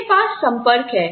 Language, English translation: Hindi, I have connections